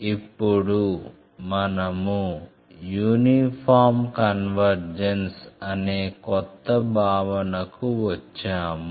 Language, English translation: Telugu, Just I am giving the definition of uniform convergence